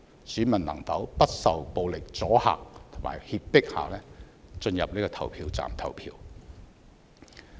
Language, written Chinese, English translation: Cantonese, 選民能否不受暴力阻嚇和脅迫地進入投票站投票？, Will electors be able to go to polling stations and cast their votes without being dissuaded and intimidated by violence?